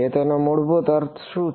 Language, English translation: Gujarati, So, what is that basically mean